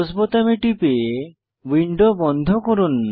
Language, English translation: Bengali, Let us click on Close button to close the window